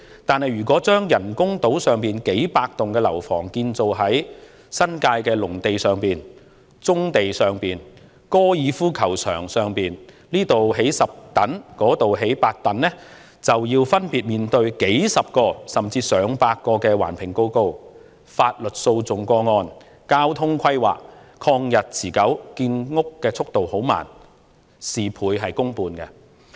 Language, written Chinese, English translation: Cantonese, 但是，如果把人工島上數百幢樓房改為在新界農地、棕地、高爾夫球場上興建，此處興建10幢，那處興建8幢，便須分別面對數十個甚至逾100個環評報告、法律訴訟個案、交通規劃，曠日持久，建屋速度緩慢，事倍功半。, However if the hundreds of residential buildings on the artificial island are built on agricultural lands in the New Territories brownfield sites and golf course with 10 blocks built here and eight blocks elsewhere it will be necessary to deal with dozens and even over 100 environment assessment reports lawsuits and transport planning . These will be long - drawn - out exercises that will slow down the pace of housing construction with double input for half output